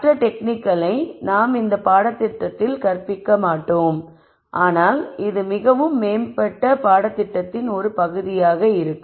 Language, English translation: Tamil, And other techniques are out there which we will not be teaching in this course, but which would be a part of more advanced course